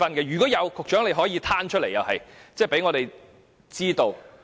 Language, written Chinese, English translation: Cantonese, 如有，局長也可公開有關資料，讓我們知道。, If there is any disciplinary actions done the Secretary may publish the information for our knowledge